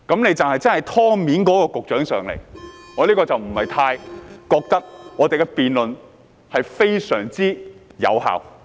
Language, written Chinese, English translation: Cantonese, 現時只有"湯面"的勞福局局長出席，我便不太覺得我們的辯論會非常有效。, Now that only the Secretary for Labour and Welfare who is on the top of the water is present so I do not think our debate will be very effective